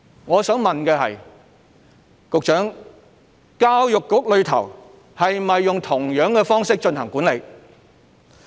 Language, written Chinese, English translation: Cantonese, 我想問局長：教育局是否用相同的方式進行管理？, I wish to ask the Secretary Does EDB adopt the same method for management?